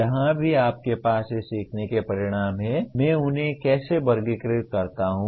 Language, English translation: Hindi, Wherever you have these learning outcomes how do I classify them